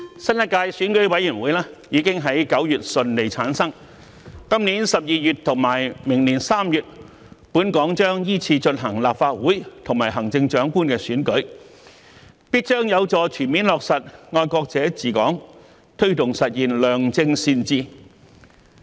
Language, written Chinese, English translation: Cantonese, 新一屆選舉委員會已於9月順利產生，今年12月和明年3月，本港將依次進行立法會和行政長官的選舉，必將有助全面落實"愛國者治港"，推動實現良政善治。, The formation of a new term of the Election Committee in September together with the Legislative Council Election and the Chief Executive Election to be held in December this year and March next year respectively will definitely facilitate the full implementation of the principle of patriots administering Hong Kong and the achievement of good governance